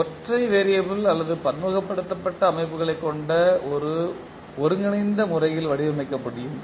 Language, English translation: Tamil, And single variable and multivariable systems can be modelled in a unified manner